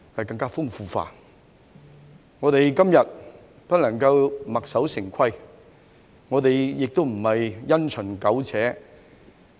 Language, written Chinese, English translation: Cantonese, 今天，我們不能墨守成規，我們亦不能因循苟且。, Today we cannot be bound by old conventions nor can we cling to routines and muddle along